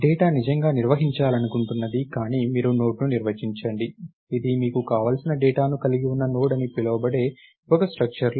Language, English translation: Telugu, The data is what you want to really maintain, but you define a node, a structure called Node which has the data that you want